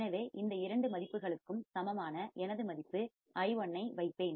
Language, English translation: Tamil, So, I will also put my value i1 equals to both these values